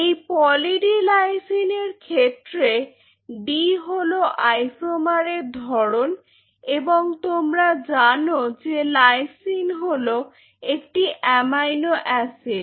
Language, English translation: Bengali, So, talking about Poly D Lysine D is the isomer type and lysine as you know is an amino acid